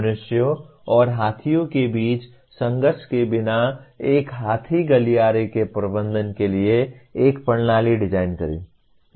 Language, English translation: Hindi, Design a system for managing an elephant corridor without conflict between humans and elephants